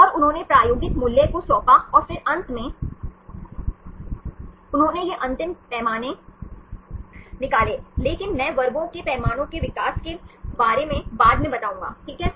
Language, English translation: Hindi, And they assigned the experimental value and then finally, they derived these final scales, but I will explain about the development of the scale in later classes, fine